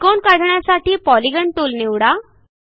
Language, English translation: Marathi, Lets draw a triangle.Click on the Polygon tool